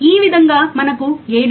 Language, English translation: Telugu, Then I can write 7